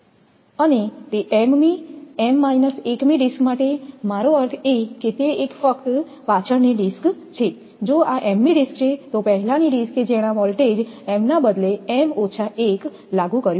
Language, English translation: Gujarati, And for that m th m minus 1 th disk I mean just the previous one if this is the m th disk then previous disk that applied voltage replace m by m minus 1